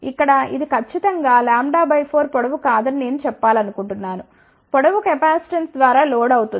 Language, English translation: Telugu, Here, I want to mention that it is not precisely lambda by 4 length ok length is loaded by the capacitance